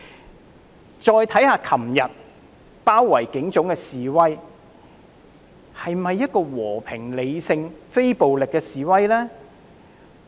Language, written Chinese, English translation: Cantonese, 我們再看看昨天包圍警總的示威，這是否和平、理性、非暴力的示威呢？, Let us now turn to yesterdays demonstration which led to the siege of the Police Headquarters . Was that a peaceful rational and non - violent demonstration?